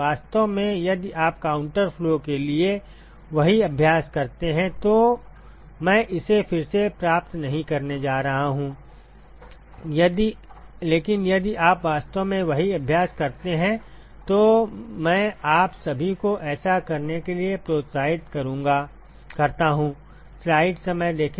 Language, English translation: Hindi, In fact, if you do the same exercise for counter flow, I am not going to derive it again, but if you do the same exercise in fact, I encourage all of you to do that